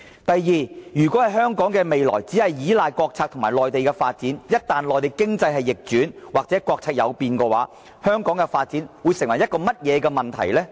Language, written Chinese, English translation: Cantonese, 第二，如果香港的未來只依賴國策和內地的發展，一旦內地經濟逆轉或國策有變，香港的發展會出現甚麼問題呢？, Second if the future of Hong Kong is made to depend entirely on state policies and Mainland development what will become of it in case the Mainland economy declines or there is a change in state policies?